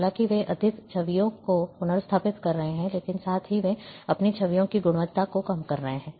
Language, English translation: Hindi, Though they are restoring more images, but at the same time, they are reducing the quality of their images